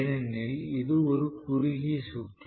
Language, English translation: Tamil, And then this going to be short circuited